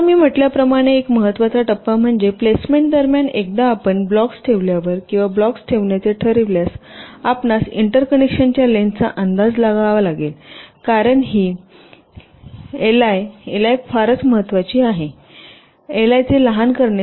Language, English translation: Marathi, now one important step, as i said, is that during placement, once you place the blocks, or you decide to place the blocks, you have to make an estimate of the length of the interconnection, because this l i, l